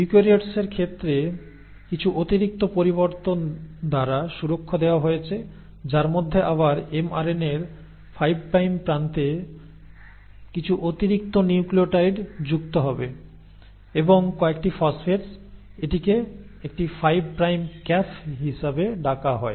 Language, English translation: Bengali, So that protection is provided by some additional modifications in case of eukaryotes wherein again the mRNA at its 5 prime end will have some additional nucleotides added, and this, and a few phosphates, and this is called as a 5 prime cap